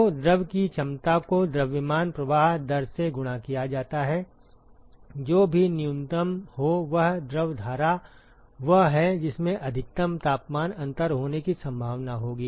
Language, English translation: Hindi, So, the capacity of the fluid multiplied by the mass flow rate whichever is minimum that fluid stream is the one which will likely to have a maximal temperature difference